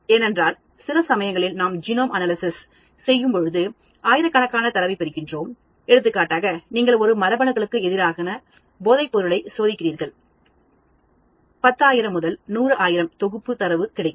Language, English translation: Tamil, When you are doing high throughput screening, for example you are testing drug against a number of genes you will get 10,000 to 100,000 set of data